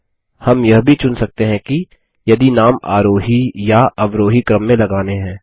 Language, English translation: Hindi, We can also choose if we want to sort the names in ascending or descending order